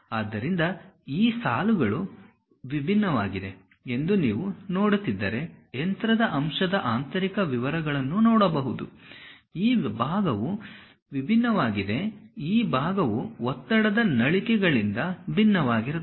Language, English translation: Kannada, So, if you are seeing these lines are different, the interior details of the machine element one can see; this part is different, this part is different the stress nozzles